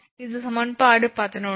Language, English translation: Tamil, So, this is equation 10